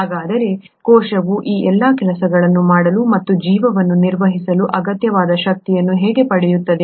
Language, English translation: Kannada, So how does the cell get the needed energy to do all these things and maintain life